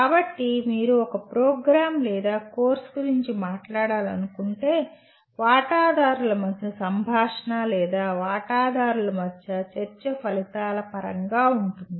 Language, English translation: Telugu, So if you want to talk about a program or a course the conversation between the stakeholders or the discussion among the stakeholders can be in terms of outcomes